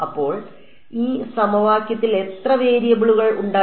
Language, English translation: Malayalam, So, how many variables were there in this equation